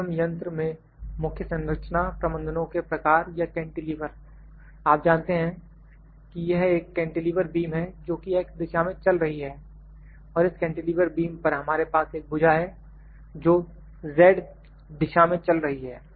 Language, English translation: Hindi, M machine or cantilever, you know this is a cantilever beam the cantilever beam is moving in X direction, cantilever beam can move in X direction and on this cantilever beam we have this arm that can move in Z direction